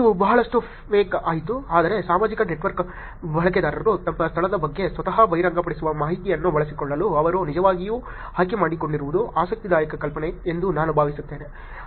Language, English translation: Kannada, It got flacked a lot, but I think it is an interesting idea that they actually picked up to make use of the information that the users of social network are disclosing by themselves about their location